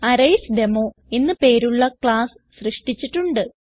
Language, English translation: Malayalam, A class named ArraysDemo has already been created